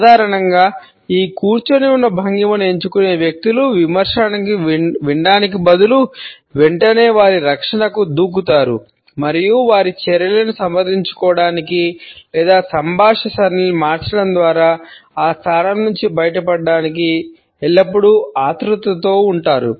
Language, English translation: Telugu, Normally, we find that people who opt for this sitting posture jump to their defense immediately instead of listening to the criticism and are always in a hurry either to defend their actions or to try to wriggle out of that position by changing the conversation patterns